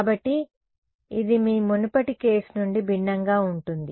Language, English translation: Telugu, So, this is different from your previous case